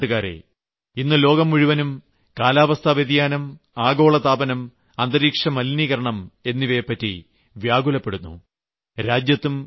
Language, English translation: Malayalam, My dear countrymen, today, the whole world is concerned deeply about climate change, global warming and the environment